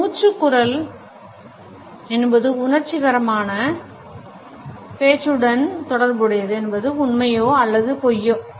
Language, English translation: Tamil, A breathy voice is associated with passionate speech true or false